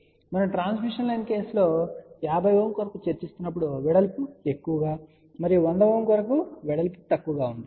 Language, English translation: Telugu, So, as we discuss in the transmission line case for 50 Ohm, width will be more and for 100 Ohm, width will be less